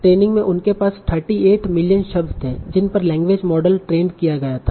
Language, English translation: Hindi, So in training they had 38 million words on which the language model was trained